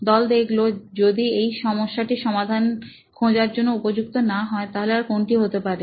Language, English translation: Bengali, So, the team observed that if this is not a problem worth solving then what else is